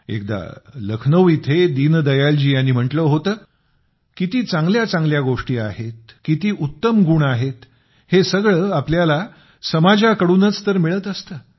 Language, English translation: Marathi, Once in Lucknow, Deen Dayal ji had said "How many good things, good qualities there are we derive all these from the society itself